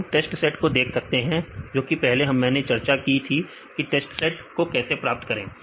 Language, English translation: Hindi, So, now we can see the test set that I discussed earlier how to get the test set